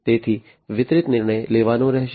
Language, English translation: Gujarati, So, distributed decision making will have to be done